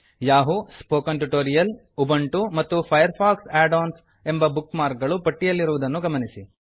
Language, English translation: Kannada, Notice that the Yahoo, Spoken Tutorial, Ubuntu and FireFox Add ons bookmarks are listed here